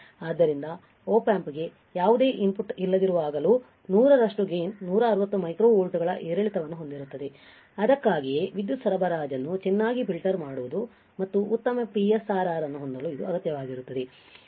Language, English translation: Kannada, Therefore, a gain of 100 the output will have ripple of 160 micro volts even when there is no input to the Op amp, this is why it is required to filter power supply well and to have a good PSRR you understand